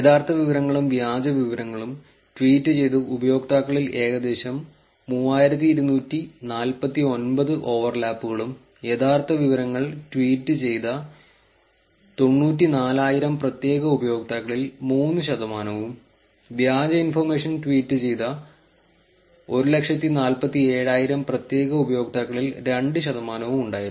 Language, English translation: Malayalam, There were about 3,249 overlap in the users who tweeted true information and fake, 3 percent of 94000 unique users who tweeted true information, and 2 percent of 147,000 unique users who tweeted fake information tweets